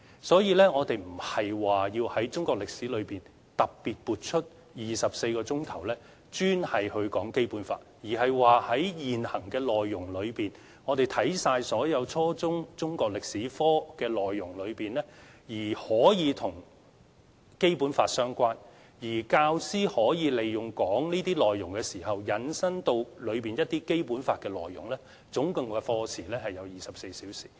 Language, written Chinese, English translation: Cantonese, 所以，我們並不是要從中國歷史科中，特別撥出24課時討論《基本法》，而是看過現時的內容、看過所有初中中國歷史科的內容之後，如果跟《基本法》相關，教師可以在教授這些內容時，引申到《基本法》當中的一些內容，而課時共24小時。, Therefore we are not talking about deducting 24 lesson hours from the subject of Chinese History specially for discussing the Basic Law . Instead we actually mean that after examining the whole Chinese History curriculum at junior secondary level now teachers can actually select the relevant topics and relate them to the Basic Law in the course of teaching . This will take up a total of 24 lesson hours